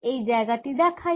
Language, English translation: Bengali, it show it here